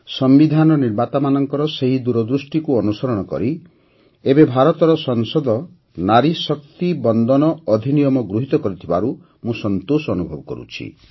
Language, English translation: Odia, It's a matter of inner satisfaction for me that in adherence to the farsightedness of the framers of the Constitution, the Parliament of India has now passed the Nari Shakti Vandan Act